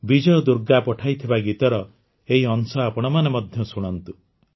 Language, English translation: Odia, Do listen to this part of Vijay Durga ji's entry